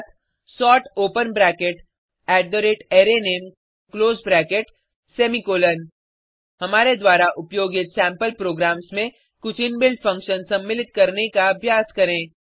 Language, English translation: Hindi, E.g sort open bracket @arrayName close bracket semicolon Try incorporating some inbuilt functions in the sample programs we used